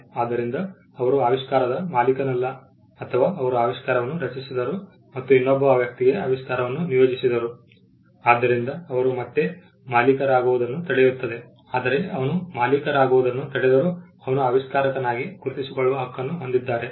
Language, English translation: Kannada, So, he is not the owner of the invention or he created the invention and assigned the invention to another person again he ceases to be the owner, but even if it ceases to be the owner, he has the right to be recognized as the inventor